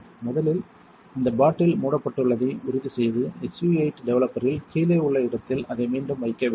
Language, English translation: Tamil, First of all you want to make sure this bottle is closed and put it back where you found it which is down here in the SU 8 developer